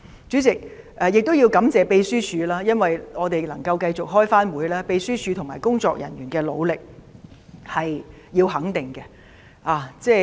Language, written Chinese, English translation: Cantonese, 主席，我亦要感謝秘書處，因為我們能夠繼續開會，秘書處和工作人員的努力必須予以肯定。, President I have to thank the Secretariat because we must recognize the efforts made by the Secretariat and its staff without which we would not have been able to hold meetings here